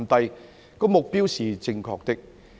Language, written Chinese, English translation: Cantonese, 這個目標是正確的。, This is the right objective